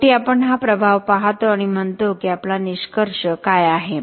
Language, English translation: Marathi, Finally, we look at this impact and say what is our conclusion